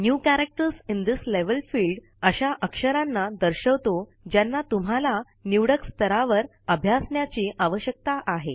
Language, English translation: Marathi, The New Characters in This Level field displays the characters that you need to practice at the selected level